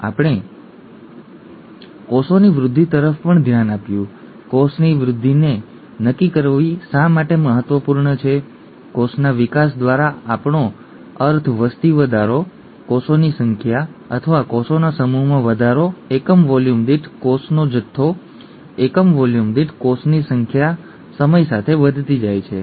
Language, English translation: Gujarati, And we also looked at cell growth; why is it important to quantify cell growth; by cell growth we mean the population growth, the number of cells or the mass of cells increasing, mass of cells per unit volume, number of cells per unit volume increasing with time, okay